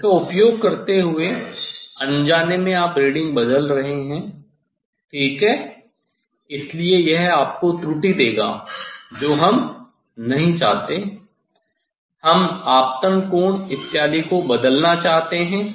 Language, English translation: Hindi, Using this one, so unknowingly you are changing the reading ok; so, this will give you error, so that we do not want, we want to change the incident angle, etcetera